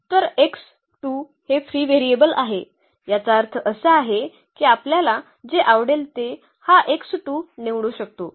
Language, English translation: Marathi, So, x 2 is free variable free variable; that means, we can choose this x 2 whatever we like